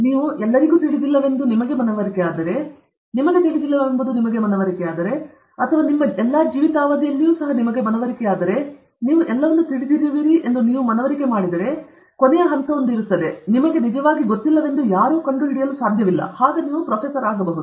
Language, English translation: Kannada, The last step will be if you are convinced that you know everything, if you are convinced that you don’t know anything, if you are convinced that others also don’t know anything, but you are also convinced that in your whole life time nobody can actually find out that you don’t know anything, then you become a Prof